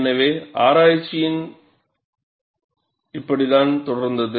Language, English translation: Tamil, So, this is how research proceeded